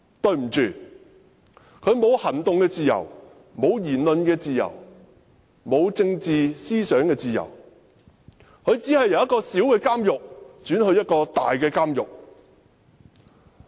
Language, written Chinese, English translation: Cantonese, 對不起，他沒有行動自由、沒有言論自由也沒有政治思想的自由，他只是由一個小監獄轉往一個大監獄。, Sorry he cannot enjoy freedom of action freedom of speech and freedom of political thought; he has only been transferred from a small prison to a large prison